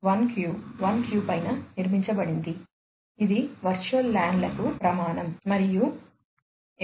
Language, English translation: Telugu, 1Q 1Q, which is the standard for the virtual LANs and the 802